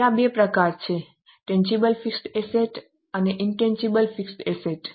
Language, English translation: Gujarati, There are two types tangible fixed assets and intangible fixed assets